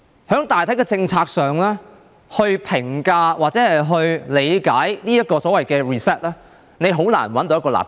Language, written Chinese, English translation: Cantonese, 你用大體政策來評價或理解這個所謂的 "reset"， 很難找到一個立腳點。, If you use the overall policy to assess or interpret this so - called reset it is hard to find a standpoint